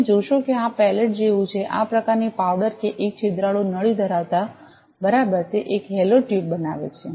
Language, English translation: Gujarati, You see that this is just like a pallet this kind of powder with having a porosity the tube exactly it forms a hollow tube